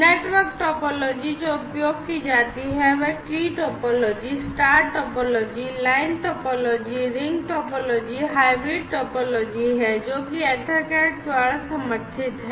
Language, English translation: Hindi, The network topology that is used are the tree topology, the star topology, line topology, ring topology, hybrid topology, different types of network topologies are supported by EtherCAT